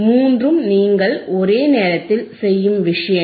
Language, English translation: Tamil, All three things you do simultaneously